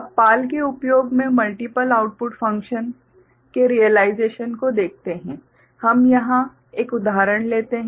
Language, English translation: Hindi, Now, let us look at realization of multiple output function using PAL, we take one example here right